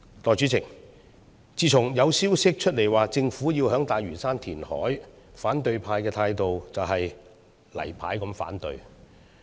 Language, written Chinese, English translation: Cantonese, 代理主席，自從有消息指出，政府要在大嶼山填海，反對派的態度就是"例牌"反對。, Deputy President ever since news broke that the Government would carry out reclamation on Lantau Island the opposition camp has displayed its usual attitude of saying No